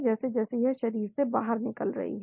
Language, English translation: Hindi, As it gets eliminated from the body